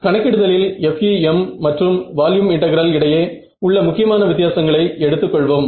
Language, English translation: Tamil, So, let us take and whatever the main differences between FEM and volume integral in terms of computation